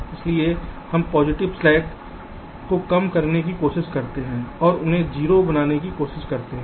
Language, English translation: Hindi, so we try to decrease the positive slacks and try to make them zero